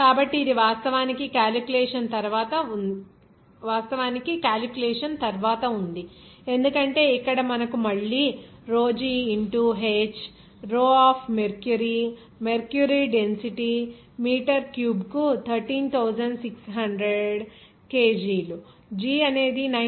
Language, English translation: Telugu, So, it is actually after calculation because here you know that it will be again that rho g into h, rho of mercury, density of mercury will be 13,600 kg per meter cube, g is 9